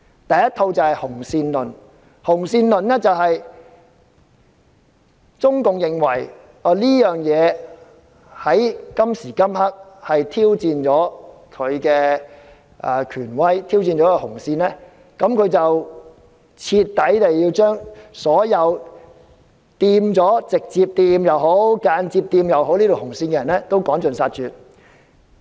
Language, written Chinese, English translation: Cantonese, 第一套價值觀是"紅線論"，中共認為事件挑戰了它的權威，也挑戰了它的紅線，所以要把所有直接或間接踩到紅線的人徹底趕盡殺絕。, The first set of values is the red line theory . The Communist Party of China CPC considers that the incident has challenged its authority and its red line therefore all those who have directly or indirectly overstepped the red line should be eradicated